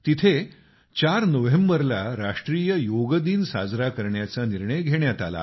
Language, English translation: Marathi, There, the 4th of November has been declared as National Yoga Day